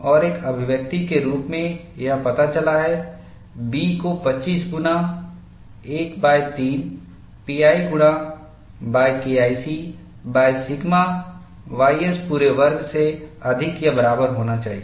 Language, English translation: Hindi, And in an expression form, it turns out to be, B is greater than or equal to 25 into 1 by 3 pi multiplied by K1C by sigma y s whole squared